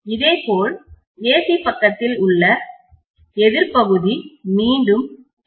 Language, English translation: Tamil, Similarly, the counter part in the AC side is again by M